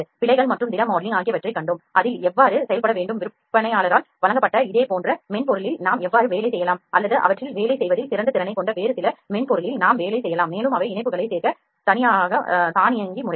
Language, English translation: Tamil, Then we saw the errors and solid modeling and start working on that, how to work on that either we can work in this similar same software that is provided by vendor or we can work in some other software that has a better capability in work on them and they are also automated modes to add patches etc